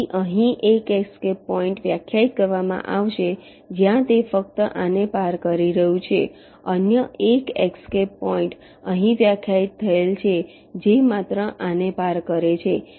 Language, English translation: Gujarati, so there will be one escape point defined here, where it is just crossing this, another escape point defined here, just crossing this